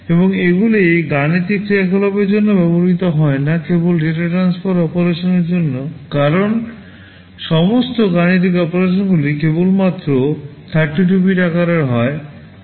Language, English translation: Bengali, And these are not used for arithmetic operations, only for data transfer operations because all arithmetic operations are only 32 bits in size